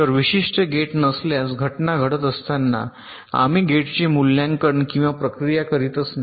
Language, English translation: Marathi, so for a particular gate, if there is no event occurring, we do not evaluate or process the gate at all